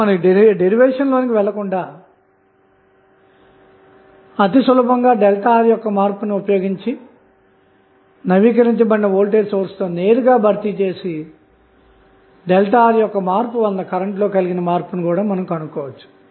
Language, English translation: Telugu, So, without going into the derivation, you can simply use the change in the circuit that is the change in delta R and you can replace directly with the updated voltage source and find out the change in current because of change in resistance delta R